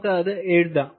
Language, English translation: Malayalam, let us write it here